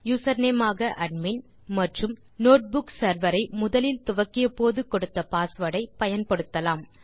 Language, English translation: Tamil, You can use the username admin and the password you gave while starting the notebook server for the first time